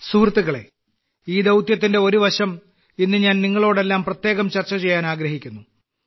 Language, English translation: Malayalam, Friends, there has been one aspect of this mission which I specially want to discuss with all of you today